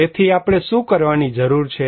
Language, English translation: Gujarati, So, what we need to do